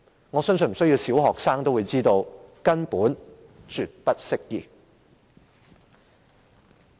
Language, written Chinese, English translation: Cantonese, 我相信小學生也知道這根本是絕不適用的。, I think even primary pupils would know that those are definitely inapplicable